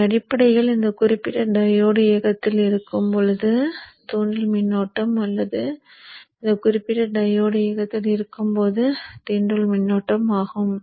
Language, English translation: Tamil, So these two currents are actually the ones that are flowing through the inductor, they are basically the inductor current during the time when this particular diode is on or the inductor current during the time when this particular diode is on